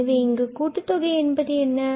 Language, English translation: Tamil, So, that is the sum